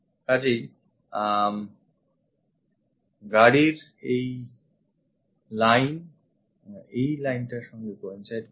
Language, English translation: Bengali, So, this line of the car coincide with this one